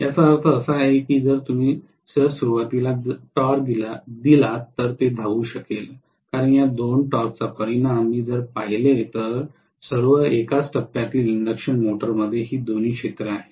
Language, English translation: Marathi, That means if you give an initial torque then it will be able to run that is because if I look at the resultant of these two torques, after all the single phase induction motor is having both these fields